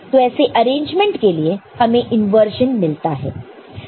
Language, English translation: Hindi, So, that is also giving you an inversion